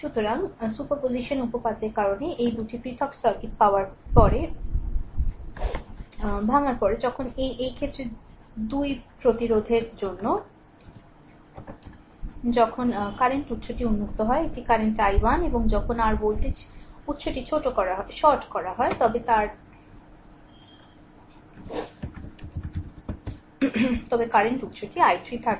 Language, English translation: Bengali, So, after breaking after getting this 2 different circuit because of superposition theorem, so now, in this case for 2 ohm resistance, when current source is open it is current i 1 and when your voltage source is shorted, but current source is there i 3